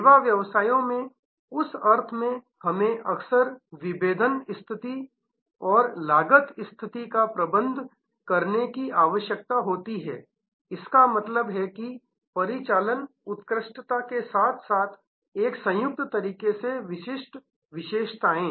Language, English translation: Hindi, In that sense in service businesses we often need to manage the differentiation position and the cost position; that means operational excellence as well as distinctive features in a combined manner